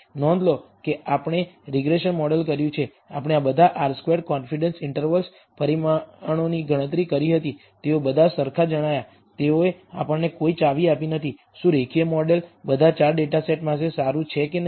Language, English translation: Gujarati, Notice that we have done the regression model regression model we computed all these parameters r squared confidence interval they all turned out to be identical they gave us no clues, whether the linear model is good for all 4 data sets or not